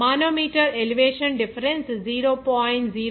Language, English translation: Telugu, The manometer shows the elevation difference of 0